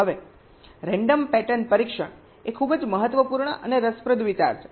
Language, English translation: Gujarati, ok, random pattern testing is a very, very important and interesting concept